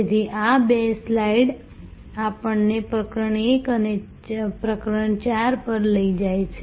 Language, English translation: Gujarati, So, these two slides therefore take us from chapter 1 to chapter 4